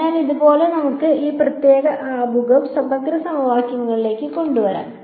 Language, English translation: Malayalam, So, with this we can bring this particular introduction to integral equations to end